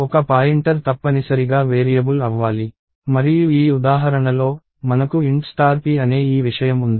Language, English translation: Telugu, A pointer is essentially a variable and in this example, we have this thing called int star p